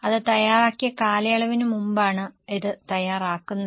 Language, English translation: Malayalam, It is prepared prior to the period for which it is prepared